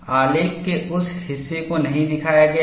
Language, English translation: Hindi, That portion of the graph is not shown